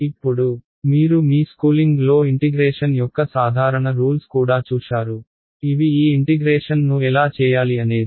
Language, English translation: Telugu, Now, you would have also encountered simple rules of integration in your schooling which are about how to do this integration approximately right